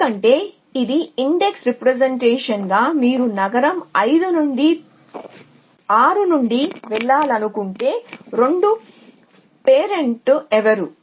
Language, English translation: Telugu, as the index representation it tells you exactly that if you 1 go from 6 from city 5 what are 2 parents in